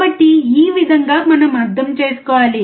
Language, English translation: Telugu, So, this is how we have to understand